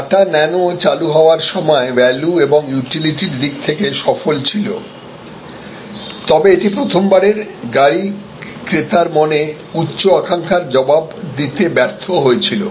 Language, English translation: Bengali, The Tata Nano was successful in terms of the utility and value it offered when it was launched, but it failed to respond to the aspirational values in the minds of the first time car buyer